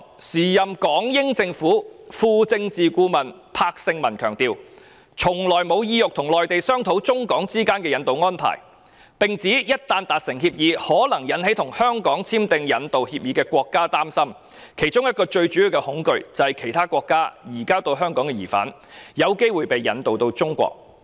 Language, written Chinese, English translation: Cantonese, 時任港英政府副政治顧問柏聖文強調，從來沒有意欲和內地商討中港之間的引渡安排，並指一旦達成協議，可能引起與香港簽訂引渡協議的國家擔憂，其中一個最主要的恐懼是從其他國家移交到香港的疑犯，有機會被引渡往中國。, The then Deputy Political Adviser Stephen BRADLEY of the British Hong Kong Administration stressed that it was never their intention to negotiate with the Mainland on rendition arrangement between China and Hong Kong . He also pointed out that an agreement reached with the Mainland might arouse concern among those countries which had concluded extradition agreements with Hong Kong and one of their major worries was about the possibility of surrendering to China those suspects who had been extradited from these countries to Hong Kong